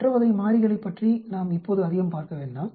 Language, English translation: Tamil, Let us not go too much into other types of variables